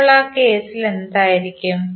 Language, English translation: Malayalam, So what would be in this case